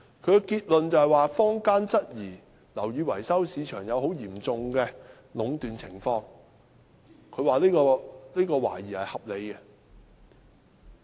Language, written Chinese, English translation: Cantonese, 其結論是，坊間質疑樓宇市場出現很嚴重的壟斷情況，這懷疑是合理的。, It concluded that the suspicion in the community of the occurrence of serious monopolization in the building maintenance market was reasonable